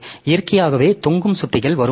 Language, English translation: Tamil, So, naturally there will be dangling pointers that will come